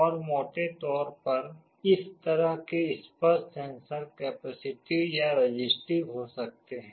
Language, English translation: Hindi, And broadly speaking this kind of touch sensors can be either capacitive or resistive